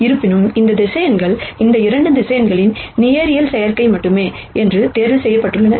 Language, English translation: Tamil, However, these vectors have been picked in such a way, that they are only linear combination of these 2 vectors